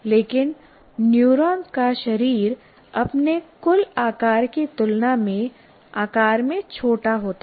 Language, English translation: Hindi, But the body of the neuron is extremely small in size and compared in comparison to its total size